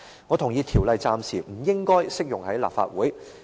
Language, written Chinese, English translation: Cantonese, 我同意《條例草案》暫時不應適用於立法會。, I agree that the Bill should not be applied to the Council for the time being